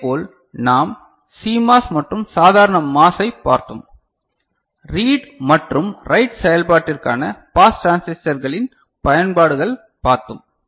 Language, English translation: Tamil, Similarly, we had seen the CMOS and normal MOS; the uses of pass transistors for reading and writing operation